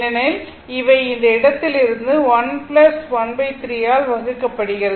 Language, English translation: Tamil, Because, these are finding out from this point only so divided by 1 plus 1 by 3